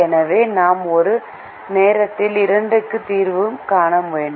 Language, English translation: Tamil, so we have to solve for two at a time